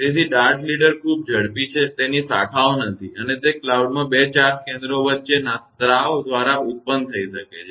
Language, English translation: Gujarati, So, the dart leader is much faster has no branches and may be produced by discharge between two charge centers in the cloud